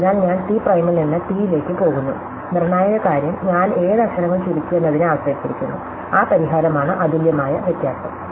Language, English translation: Malayalam, So, therefore I am going from T prime to T, the crucial thing is only depend for which letters I have contract, that fixes the difference uniquely